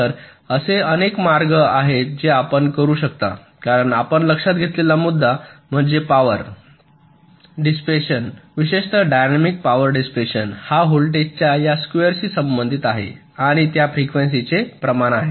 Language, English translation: Marathi, you can, because the the point you note, that is, that the power dissipation, particularly the dynamic power dissipation, is proportional the to this square of the voltage and it is proportional to the frequency